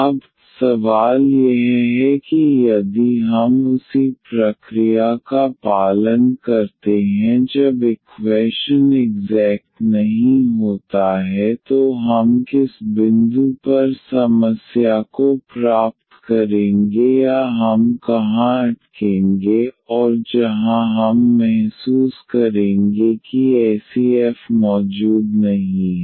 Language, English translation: Hindi, Now, the question is if we follow the same process here when the equation is not exact then at what point we will get the problem or where we will stuck, and where we will realize that such f does not exists